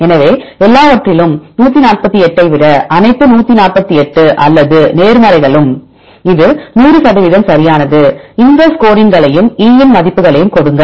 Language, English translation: Tamil, So, at everything out of 148, all the 148 or positives; so this is 100 percent right they give along with this scores as well as the E values